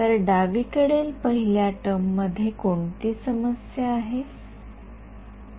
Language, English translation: Marathi, So, first term on the left hand side any problem